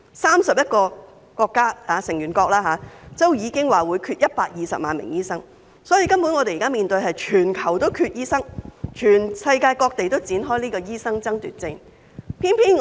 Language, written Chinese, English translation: Cantonese, 三十一個成員國已經表明會缺少120萬名醫生，可見根本全球都醫生短缺，世界各地均已展開醫生爭奪戰。, When the 31 OECD countries say that they will be in lack of 1.2 million doctors it means doctors are running short worldwide and the whole world is already scrambling for doctors